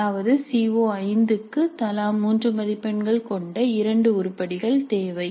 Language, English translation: Tamil, That means for CO5 we need two items three marks each